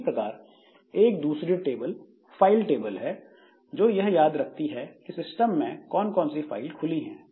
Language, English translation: Hindi, Similarly, if there is another table which is say the file table that remembers all the open files that we have in the system